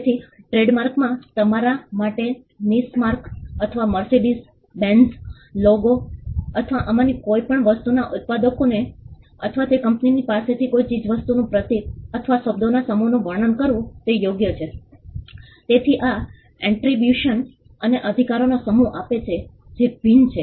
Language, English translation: Gujarati, So, in trademark the right is for you to describe a symbol or a set of words the Niche mark or the Mercedes Benz logo or any of these things to a manufacturer or to a company which owns it; so this attribution gives you a set of rights that are different